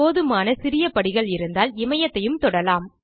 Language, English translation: Tamil, If sufficient small steps are available, Himalayas can also be climbed